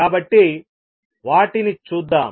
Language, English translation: Telugu, So, let us see that